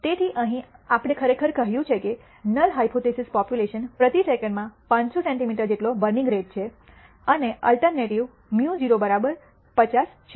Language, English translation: Gujarati, So, here we have actually said the null hypothesis population as having a burning rate of 50 centimeter per second and the alternative is mu naught equal to 50